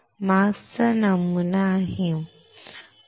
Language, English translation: Marathi, The mask has the pattern, right